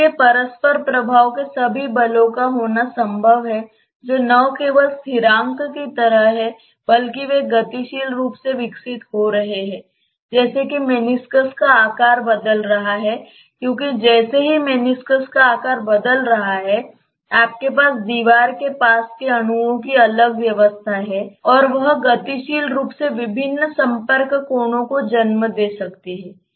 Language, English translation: Hindi, So, it is possible to have all the forces of interaction which are not just like constants, but those are evolving dynamically as the shape of the meniscus is changing because as the shape of the meniscus is changing you have different arrangements of the molecules close to the wall and that may dynamically give rise to different contact angles